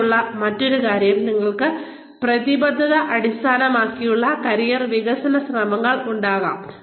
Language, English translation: Malayalam, The other thing, here is, you could have commitment oriented, career development efforts